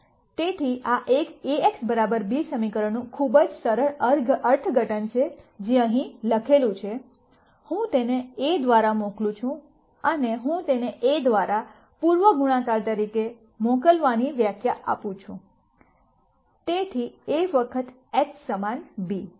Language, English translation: Gujarati, So, this is a very simple interpretation of this equation Ax equal to b, which is what is written here x, I send it through a and I define sending it through a as pre multiplying by A; so A times x equal b